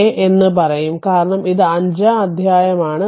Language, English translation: Malayalam, a because that it is chapter five